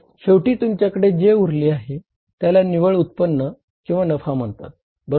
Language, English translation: Marathi, So, finally, you are left with some amount which is called as net income, net income oblique profit